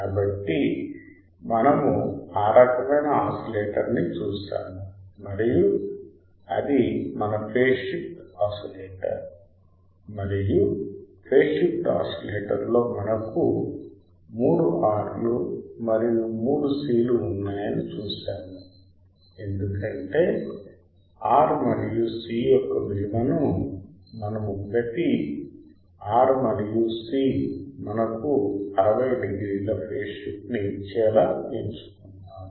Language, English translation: Telugu, So, we have seen that kind of oscillator and that was our 7that was our phase shift oscillator and we have seen that in the phase shift oscillator we had three R and three C because we have adjusted the value of R and C such that each R and C will give us 60 degrees phase shift